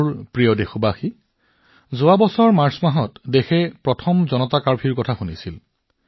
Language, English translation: Assamese, My dear countrymen, last year it was this very month of March when the country heard the term 'Janata Curfew'for the first time